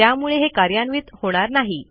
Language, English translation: Marathi, Therefore it wont execute this